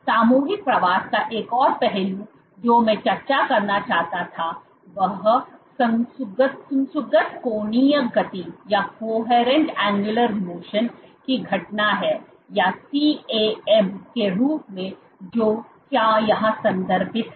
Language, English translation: Hindi, One another aspect of collective migration that I wanted to discuss which is this phenomena of coherent angular motion or refer to as CAM